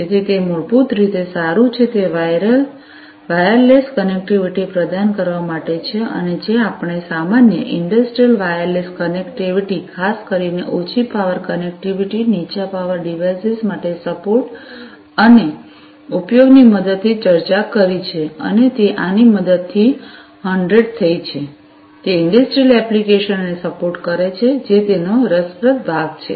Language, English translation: Gujarati, So, that is basically well is that is for providing wireless connectivity and, that is what we discussed for use with general you know industrial wireless connectivity, particularly, low power connectivity, support for low power devices, and so on that can be done with the help of this is a 100, and it supports industrial applications that is the interesting part of it